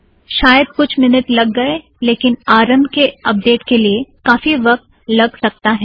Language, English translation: Hindi, Maybe a couple of minutes but the initial update could take a lot of time